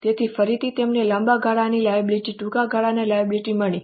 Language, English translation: Gujarati, So, again, you have got long term liability, short term liabilities